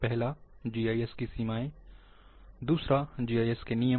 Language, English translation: Hindi, The first one is the limitations of GIS, and second one,the rules of GIS